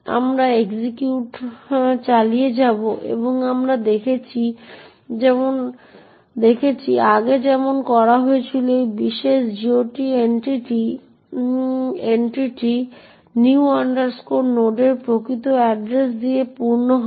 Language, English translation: Bengali, Will continue executing and what we see as done before that this particular GOT entry would be fill with the actual address of new node